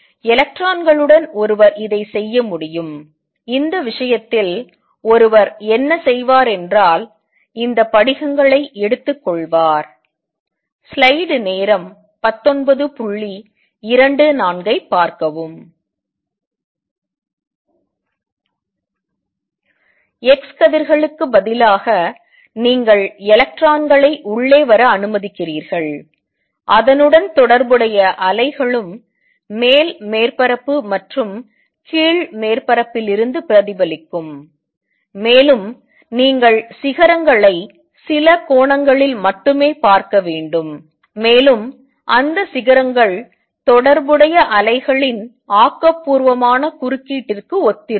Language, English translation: Tamil, So, one could do the same thing with electrons what one would do in this case is take these crystals and instead of x rays you let electrons come in and the associated waves will also be reflected from the top surface and the bottom surface, and you should see peaks only at certain angles and those peaks will correspond to the constructive interference of the associated waves